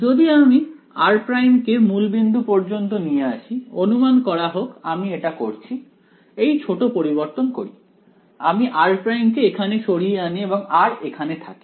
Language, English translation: Bengali, If I move r prime to the origin right, so supposing I do; do this small transformation over here; I move r prime over here and this guy r remains over here